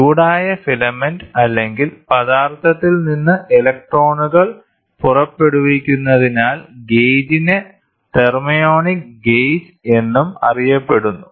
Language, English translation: Malayalam, The gauge is also known as thermionic gauge as electrons are emitted from the heated filament, this is a filament or substance